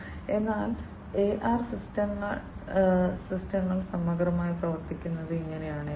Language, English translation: Malayalam, So, this is how the AR systems work holistically